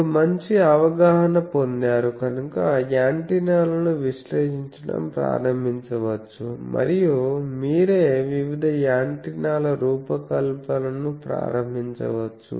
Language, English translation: Telugu, So, but you have got a good amount of exposure by which you can start analyzing the simple antennas and also yourself start designing various antennas